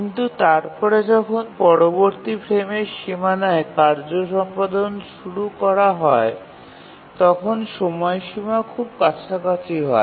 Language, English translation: Bengali, But then when the task is started to execute at the next frame boundary, the deadline is very near